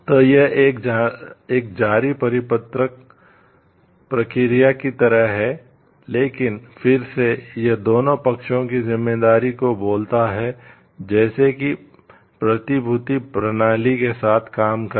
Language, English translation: Hindi, So, this is like an ongoing circular process, but again it talks of responsibility on both of sides like those who are dealing with the securities system